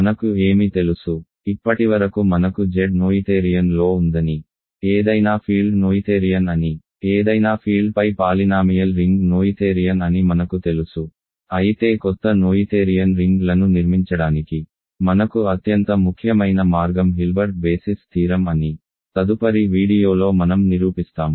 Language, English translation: Telugu, What do we know, so far we know Z is in noetherian, any field is noetherian, polynomial ring over a field is noetherian, but the most important way for us to construct new noetherian rings is what is called Hilbert basis theorem which I will prove in the next video